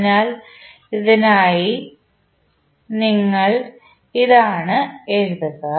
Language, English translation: Malayalam, So, what you will write for this